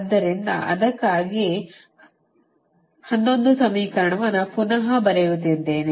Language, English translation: Kannada, this is your equation eleven, the same equation we are actually re writing